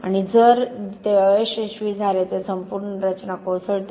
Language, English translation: Marathi, And if that fails the whole structure collapses